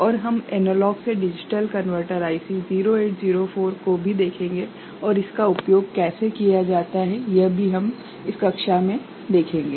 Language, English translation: Hindi, And also we shall look at one IC analog to digital converter IC 0804 ok, and how it is used so that also we shall see in this particular lecture